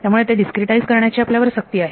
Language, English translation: Marathi, So, we are forced to discretized it